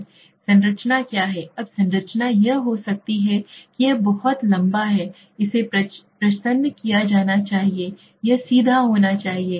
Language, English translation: Hindi, What is the structure, now the structure could be like it could be a very lengthy, it should be disguised and it should be straight away you know open